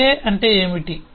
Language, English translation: Telugu, what is a ta